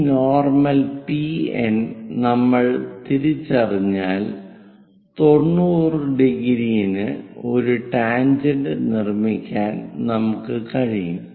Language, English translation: Malayalam, Once we identify this PN PN normal, we will be in a position to make a tangent which will be at 90 degrees